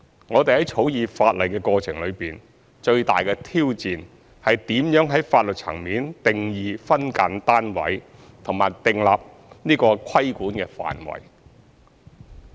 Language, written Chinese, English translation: Cantonese, 我們在草擬法例的過程中，最大的挑戰是如何在法律層面定義"分間單位"和訂立規管範圍。, In the course of drafting the legislation the greatest challenge is how to define SDUs at the legal level and delineate the scope of regulation